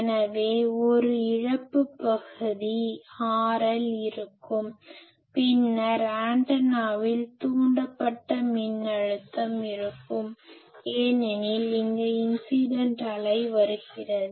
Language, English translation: Tamil, So, there will be a lossy part R L capital L, now R L, then there will be a induced voltage on the antenna because this incident wave is coming